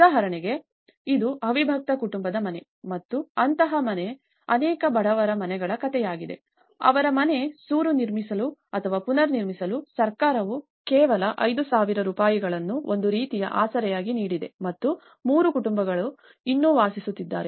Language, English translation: Kannada, For instance, this is a story of a house as a joint family house and many of these poor houses, the government has given only 5000 rupees as a kind of support to rebuild their house, the roof and the reality is 3 families still live in the same house